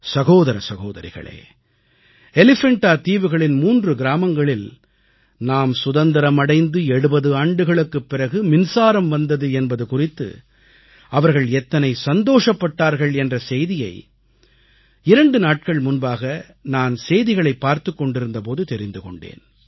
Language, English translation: Tamil, My dear Brothers and sisters, I was just watching the TV news two days ago that electricity has reached three villages of the Elephanta island after 70 years of independence, and this has led to much joy and enthusiasm among the people there